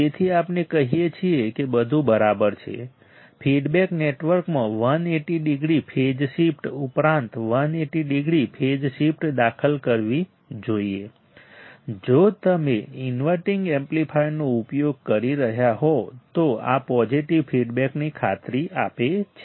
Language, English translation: Gujarati, So, we say be all right there is feedback network should introduce 180 degree phase shift in addition to 180 degree phase shift introduced by inverting amplifier if you are using inverting amplifier this ensures positive feedback